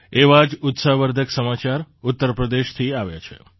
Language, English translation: Gujarati, One such encouraging news has come in from U